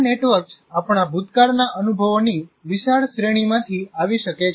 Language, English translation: Gujarati, These networks may come from wide range of our past experiences